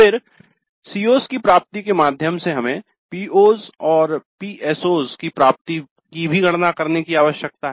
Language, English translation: Hindi, Then via the attainment of the COs we need to compute the attainment of POs and PSOs also